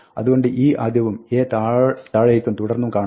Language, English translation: Malayalam, So, e is first and a is way down and so on